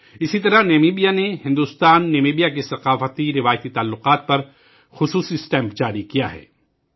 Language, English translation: Urdu, Similarly, in Namibia, a special stamp has been released on the IndoNamibian culturaltraditional relations